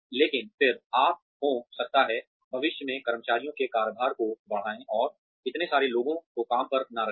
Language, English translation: Hindi, But then, you could may be, increase the workload of, further of employees in future, and not hire so many people